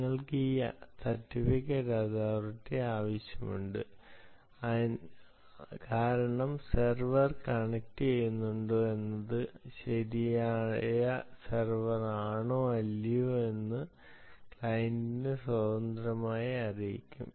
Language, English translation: Malayalam, you want this certificate authority because it is independently going to inform the client whether the server is connecting, is indeed the right server or not